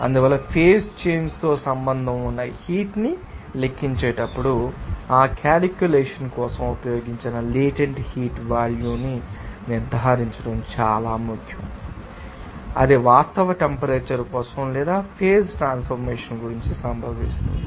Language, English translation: Telugu, Therefore, we can say that, when calculating heat associated with the change of phase it is important to ensure that the latent heat value used for that calculation with that it is that for that actual temperature or not at which this phase transformation occurs